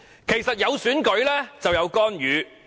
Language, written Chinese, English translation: Cantonese, 其實，有選舉便有干預。, As a matter of fact there is intervention in every election